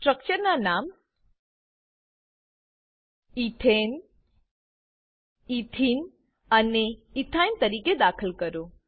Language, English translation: Gujarati, Enter the names of the structures as Ethane, Ethene and Ethyne